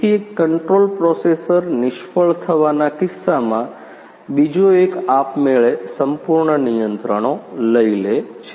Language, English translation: Gujarati, So, in case of one control processor fails the another one take the whole controls automatically